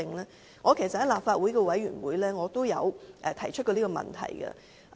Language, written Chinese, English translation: Cantonese, 其實，我在立法會的委員會也曾提出這個問題。, In fact I have put forward this question in committees of the Legislative Council